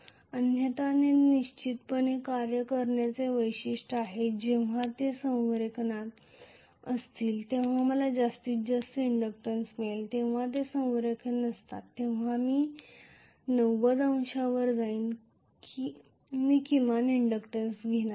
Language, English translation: Marathi, Otherwise it is definitely a function of feature very clearly when they are in alignment I will have the maximum inductance when then they are not in alignment I am going to have you know at 90 degrees I am going to have minimum inductance,right